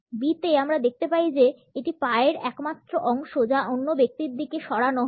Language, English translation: Bengali, In B we find that it is the sole of the foot which is moved in the direction of the other person